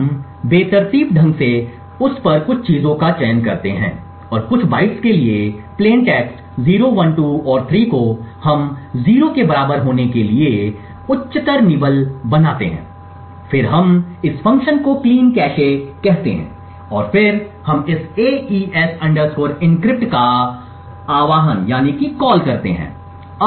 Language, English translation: Hindi, We randomly select some things on it and for certain bytes the plain text 0, 1, 2 and 3 we make the higher nibble to be equal to 0 then we invoke this function called cleancache and then we invoke this AES encrypt